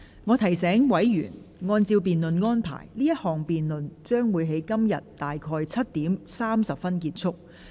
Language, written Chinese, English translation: Cantonese, 我提醒委員，按照辯論安排，此項辯論將於今天約7時30分結束。, Let me remind Members that according to the arrangements for the debate this debate will come to a close at around 7col30 pm today